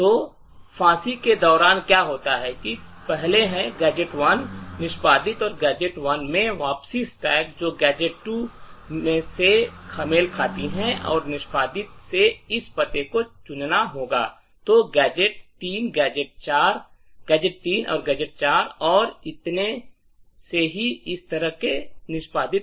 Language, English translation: Hindi, So, what happens during executions, is first gadget 1 executes and the return in gadget 1 would pick this address from the stack which corresponds to gadget 2 and execute, then gadget 3, gadget 4 and so on executes in such a way